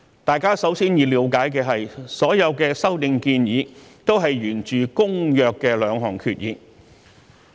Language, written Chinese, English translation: Cantonese, 大家首先要了解的是，所有修訂建議源自《公約》的兩項決議。, The first thing Members should understand is that all the amendments are subsequent to the two resolutions on the Convention